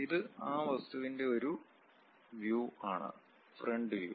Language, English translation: Malayalam, And this is one view of that object, the frontal view